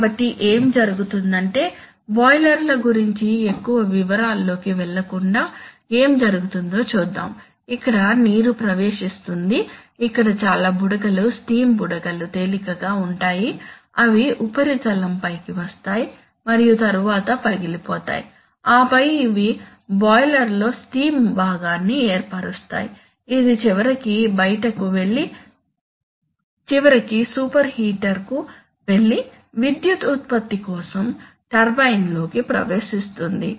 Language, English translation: Telugu, So what happens is that without going into much details of boilers, let us what happens is that the water enters here, here are lots of bubbles, steam bubbles which actually come to the surface being lighter, they come to the surface and then the break and then they form a steam part in the boiler, which eventually goes out and finally goes to the super heater and then enters the turbine for power generation